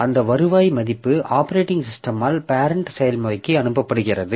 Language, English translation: Tamil, So, that return value is passed to the parent process by the operating system